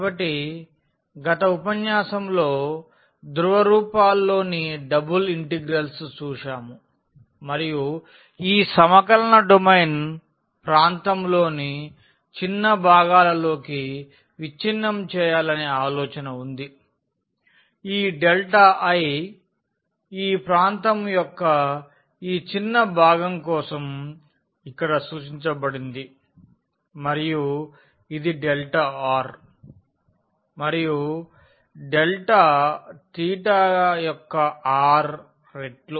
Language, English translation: Telugu, So, in the last lecture we have seen the double integrals in the polar forms and the idea was to again break this integral the domain of integral into smaller parts of region, this delta i which we have denoted here for this small portion of the area and which was coming to be the r times the delta r and delta theta